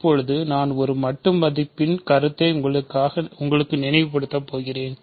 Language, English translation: Tamil, So, now I am going to recall for you the notion of an absolute value